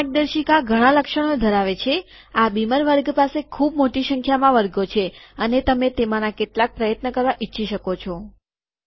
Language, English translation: Gujarati, This guide has lots of features, this beamer class has very large number of classes, and you may want to try out some of them